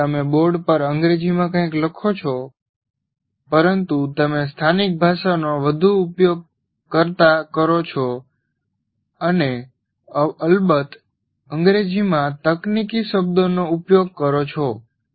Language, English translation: Gujarati, While you may write something on the board in English, but you keep talking, use more of local language and using of course the technical words in English